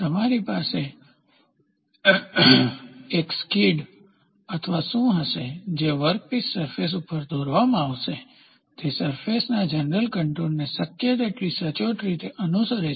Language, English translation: Gujarati, You will have a skid or a shoe drawn over a workpiece surface such that, it follows the general contour of the surface as accurately as possible